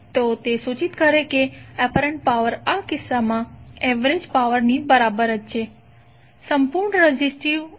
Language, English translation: Gujarati, So that implies that apparent power is equal to the average power in this case